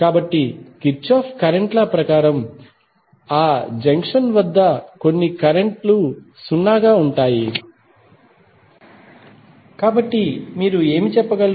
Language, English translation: Telugu, So, as per Kirchhoff Current Law your some of the currents at that junction would be 0, so what you can say